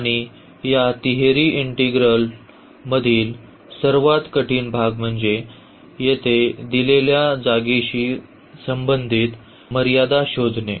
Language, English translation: Marathi, And, the most difficult part again in this triple integral is finding the limits corresponding to the given space here